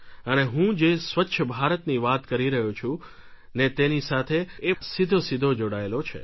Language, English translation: Gujarati, It is directly related to the Swachh Bharat Campaign that I talk about